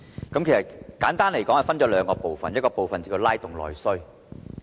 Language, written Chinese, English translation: Cantonese, 簡單而言，議案分為兩個部分，一個部分是拉動內需。, In brief the motion is divided into two parts . The first part is on stimulating internal demand